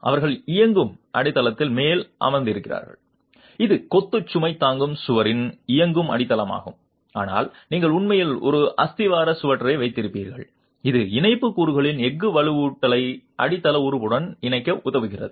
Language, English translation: Tamil, They are sitting on top of the running foundation which is a running foundation of the masonry load bearing walls themselves but you would actually have a plinth beam which helps in connecting the steel reinforcement of the tie elements to the foundation element itself